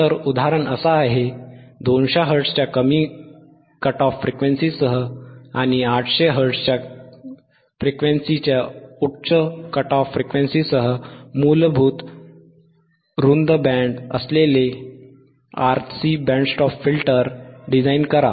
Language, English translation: Marathi, So, example is, design a wide band design a basic wide band RC band stop filter with a lower cut off frequency of 200 Hertz and a higher cut of frequency off 800 Hertz